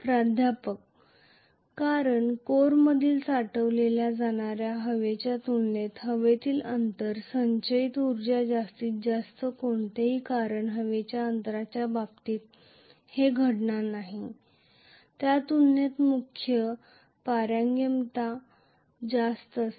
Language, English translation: Marathi, Because the air gap stored energy happens to be much much higher as compared to what is being stored in the core, because the core permeability is quite high as compared to what is going to happen in terms of the air gap